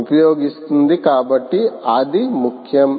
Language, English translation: Telugu, so thats important